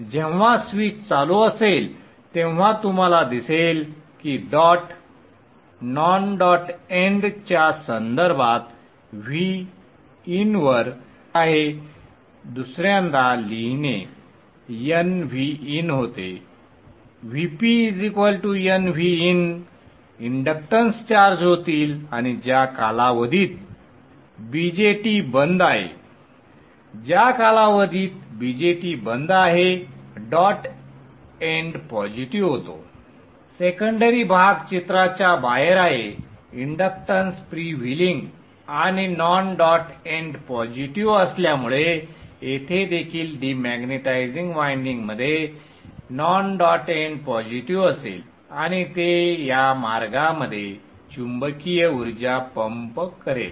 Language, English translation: Marathi, When the switch is on, you will see dot is at VIN with respect to the non dot end secondary side becomes N V in VP will be N V in inductance will charge and during the period when the BJT is off the non dot end becomes positive the secondary portion is out of the picture inductance is freewheeling and because the non dot end is positive here also in the demaritizing winding the non dot end will be positive and it will pump the magnetic energy in this path so you will see that the magnetic energy will be put into the source